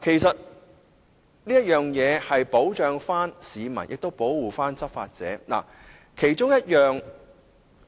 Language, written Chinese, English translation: Cantonese, 這樣既能保障市民，亦能保護執法人員。, The provision of information will protect not only the people but also law enforcement officers